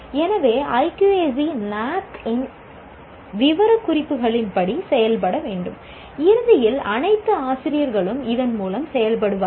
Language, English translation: Tamil, So the IQAC should function as per the specifications of NAAC and eventually all faculty will get to operate through this